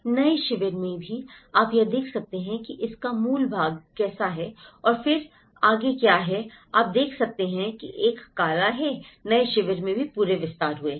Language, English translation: Hindi, Even in the new camp, you can see this is how the original part of it and then now today what you can see is a black, the whole expansions have taken place even in the new camp